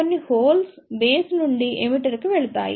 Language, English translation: Telugu, A few holes will also pass from the base to the emitter